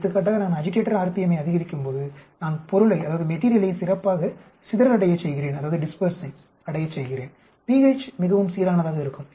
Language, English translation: Tamil, For example, when I increase agitator RPM may be I am dispersing the material better; pH is more uniform and so on